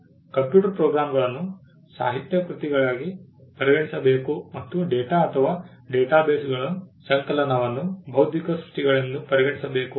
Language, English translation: Kannada, It required that computer programs should be treated as literary works and compilation of data or databases should also be treated as intellectual creations